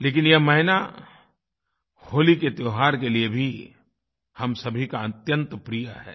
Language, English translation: Hindi, But this month is also very special to all of us because of the festival of Holi